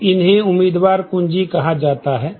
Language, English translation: Hindi, So, these are called the candidate keys